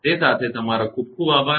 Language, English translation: Gujarati, With that thank you very much